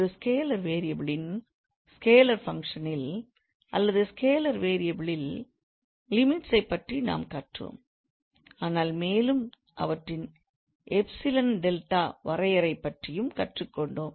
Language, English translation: Tamil, So, in a function of scalar variable, in scalar functions we learned about limits but we also learned about the epsilon delta definition